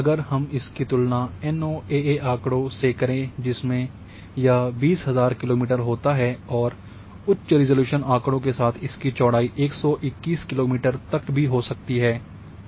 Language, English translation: Hindi, So, if I compare NOAA data it is 20000 kilometre with the high resolution data may be say 1 meter resolution data the swath width may be 121 kilometre